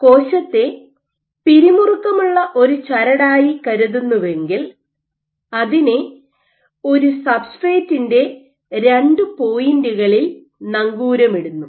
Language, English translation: Malayalam, So, if you think the cell as a tensed string, which is anchored at two points on a substrate